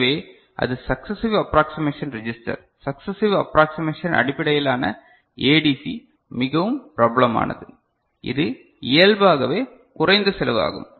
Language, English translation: Tamil, So, that was successive approximation register successive approximation based ADC which is very popular, it is inherently low cost